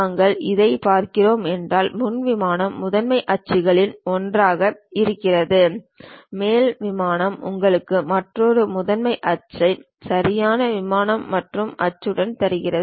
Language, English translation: Tamil, If we are looking at this, the front plane represents one of the principal axis, the top plane gives you another principal axis and the right plane gives you another axis